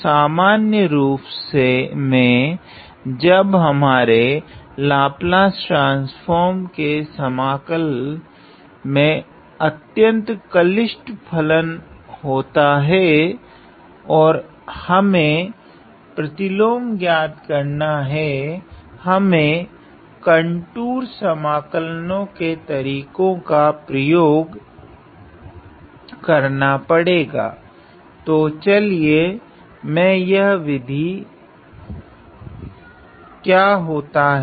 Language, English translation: Hindi, So, in general when we have a very complicated function inside this integral of the Laplace transform and we have to evaluate the inverse; I need to use the method of contour integrals